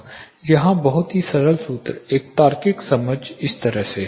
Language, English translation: Hindi, Very simple formula here, a logical understanding goes like this